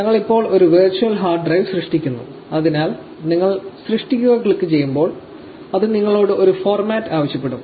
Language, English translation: Malayalam, We are creating a virtual hard drive now, when you click create; it will ask you for a format